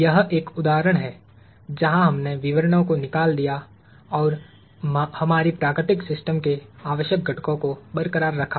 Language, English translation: Hindi, This is one example of where we threw out the details and retained the essential components of our natural system